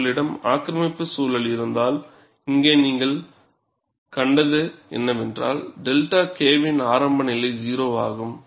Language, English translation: Tamil, If you have an aggressive environment, what you find here is, the delta K threshold is 0